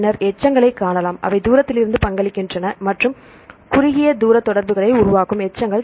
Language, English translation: Tamil, Then we can see the residues, which contribute from far away and which residues which make short range contacts